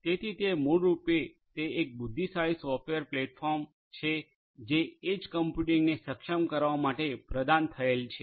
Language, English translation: Gujarati, So, it is basically an intelligent software platform that is provided for enabling edge computing